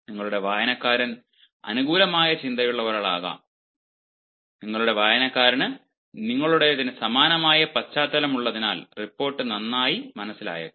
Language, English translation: Malayalam, may be your reader is favorable and your reader has the same background as yours, so the report will be understand better